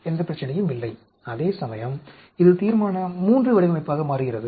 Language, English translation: Tamil, No problem, whereas this becomes a Resolution III design